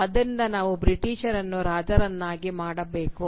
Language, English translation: Kannada, Therefore, we will make the English king